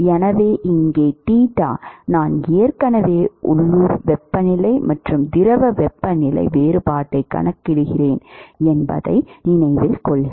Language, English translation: Tamil, So, note that here theta I already account for the difference in the local temperature and the fluid temperature